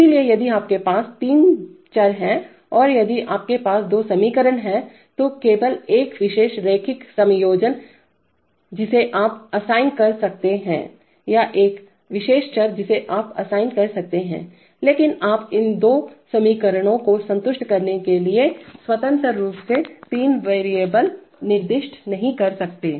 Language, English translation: Hindi, So if you have three variables and if you have two equations then only one particular linear combination you can assign or one particular variable you can assign but you cannot assign three variables independently to satisfy these two equations, right like that